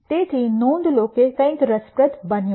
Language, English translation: Gujarati, So, notice that something interesting has happened